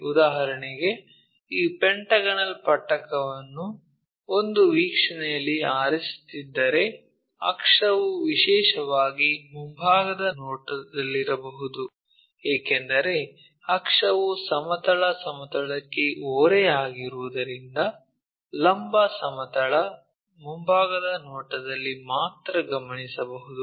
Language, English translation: Kannada, For example, if we are picking these pentagonal prism in one of the view, may be the axis especially in the front view because axis is inclined to horizontal plane that we can observe only in the vertical plane, front view